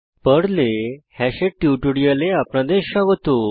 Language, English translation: Bengali, Welcome to the spoken tutorial on Hash in Perl